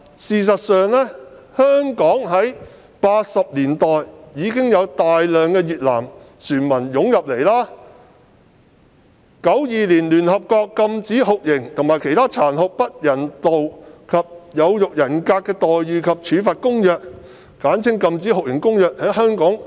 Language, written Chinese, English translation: Cantonese, 事實上，香港早在1980年代已面對大量越南船民湧入，及至1992年，聯合國的《禁止酷刑和其他殘忍、不人道或有辱人格的待遇或處罰公約》開始適用於香港。, As a matter of fact Hong Kong was faced with the problem of a large influx of Vietnamese boat people as early as in the 1980s and the United Nations Convention against Torture and Other Cruel Inhuman or Degrading Treatment or Punishment became applicable to Hong Kong in 1992